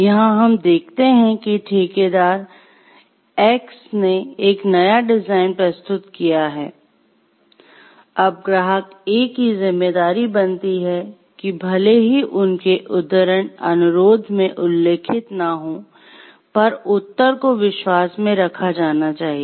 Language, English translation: Hindi, So, here we can see like the, though a contractor A has submitted a new design and it is a part of responsibilities of the client A, even if, though it is not mentioned in their quotation request, the replies will be held in confidence